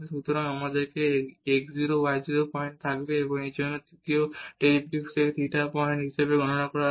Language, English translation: Bengali, So, we will have this x 0 y 0 point and for this one the here the third derivative will be computed as theta point